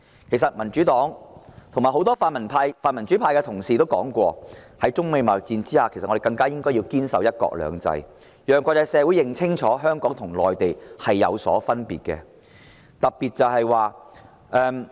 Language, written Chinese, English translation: Cantonese, 其實，民主黨及很多泛民主派同事也說過，在中美貿易戰下，我們更應堅守"一國兩制"，讓國際社會認清香港與內地是有分別的。, As a matter of fact the Democratic Party and many other Honourable colleagues of the pan - democratic camp have pointed out that in the midst of the United States - China trade war we must more than ever hold fast to one country two systems making clear to the international community that Hong Kong is different from the Mainland